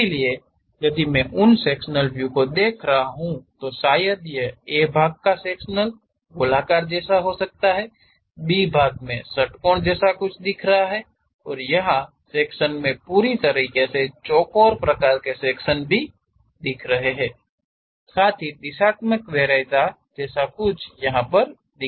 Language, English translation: Hindi, So, if I am having those sectional views, perhaps this A part section might be circular, the B part is something like your hexagon, and here the section is completely square kind of thing, along with the directional preference we have to show